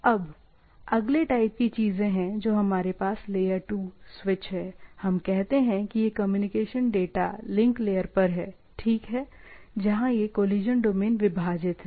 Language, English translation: Hindi, Now, the next type of things what we have a layer 2 switch, what we say where these communication are at a, what we say data link layer, right, where these collision domains are divided